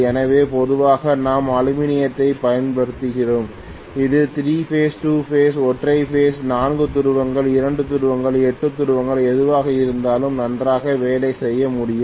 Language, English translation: Tamil, So normally we use aluminium and this can work very well whether it is 3 phase, 2 phase, single phase, 4 pole, 2 pole, 8 pole anything it can work very well, not a problem at all